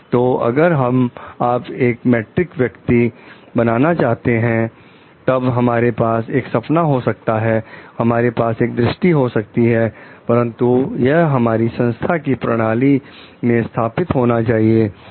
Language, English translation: Hindi, So, and for like if you want to be an ethical person, then we can have a dream, we can have a vision, but it needs to be embedded within the system of the organization